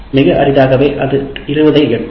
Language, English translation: Tamil, Very rarely it will reach 20